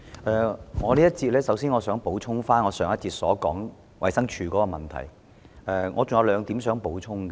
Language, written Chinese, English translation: Cantonese, 主席，在這一節，我想就上一節有關衞生署問題的發言作兩點補充。, In this session Chairman I wish to add two points to my speech on issues relating to the Department of Health DH in the last session